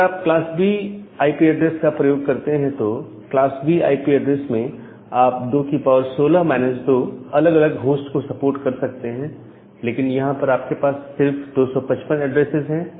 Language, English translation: Hindi, But, if you use a class B IP address, in case of a class B IP B IP address, you can support 2 the power minus 16 number of different host, but here you are just using 255 addresses